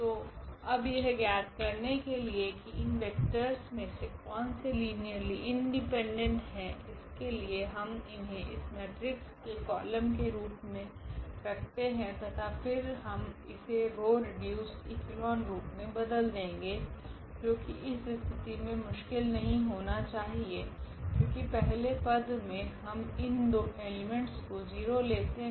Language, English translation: Hindi, So, now to find out the linearly independent vectors out of this what we can do we can place them in the in this matrix here as the columns, and then we can reduce it to the row reduced echelon form which should not be difficult here in this case because as a first step we will set these two elements to 0